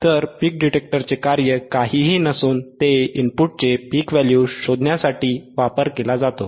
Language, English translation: Marathi, So, function of the peak detector is nothing, but to find the peak value peak value of the input right